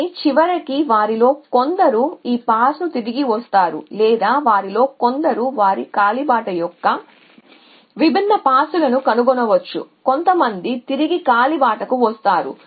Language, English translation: Telugu, But eventually some of them will come back to this trail or some of them may find different pass of the trail some make come back to the trail